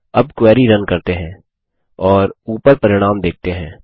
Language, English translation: Hindi, Let us now run the query and see the results at the top